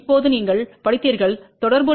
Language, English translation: Tamil, Now, you read the corresponding value which is plus j 1